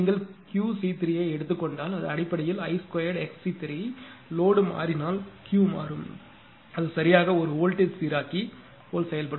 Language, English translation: Tamil, So, because that if you if you take Q c 3; it will be basically I square x c 3; if load is changing I will change the Q will vary right it acts like a voltage regulator